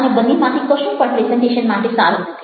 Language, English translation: Gujarati, either of them is good for presentation